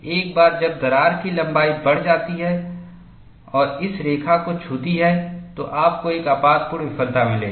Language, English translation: Hindi, Once the crack length increases and touches this line, you will have a catastrophic failure